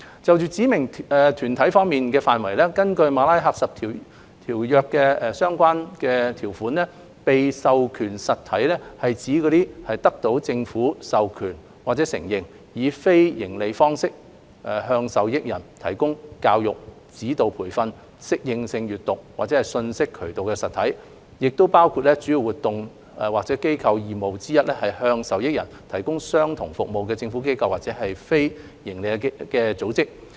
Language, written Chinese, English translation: Cantonese, 有關指明團體的範圍，根據《馬拉喀什條約》的相關條款，被授權實體是指得到政府授權或承認，以非營利方式向受益人提供教育、指導培訓、適應性閱讀或信息渠道的實體，亦包括主要活動或機構義務之一是向受益人提供相同服務的政府機構或非營利組織。, Regarding the coverage of specified bodies under the relevant provisions of the Marrakesh Treaty an authorized entity means an entity that is authorized or recognized by the government to provide education instructional training adaptive reading or information access to beneficiary persons on a non - profit basis . It also includes a government institution or non - profit organization that provides the same services to beneficiary persons as one of its primary activities or institutional obligations